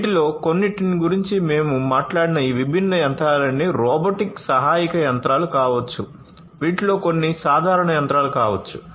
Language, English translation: Telugu, All these different machines that we talked about some of these may be robot assisted machines; some of these could be simple machines